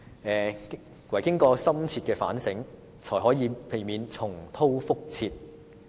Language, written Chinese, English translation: Cantonese, 只有經過深切反省，才可以避免重蹈覆轍。, It is only through deep self - reflection that one can avoid repeating the same mistakes